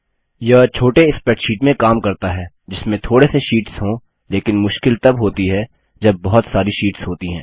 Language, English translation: Hindi, This works for a small spreadsheet with only a few sheets but it becomes cumbersome when there are many sheets